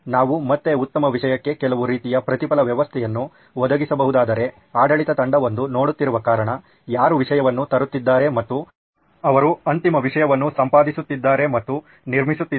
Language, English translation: Kannada, If we can provide some kind of a reward system to the best content that is again, since there is an administrative team who is looking at, who is bringing in the content and they are the ones who are editing and building that final content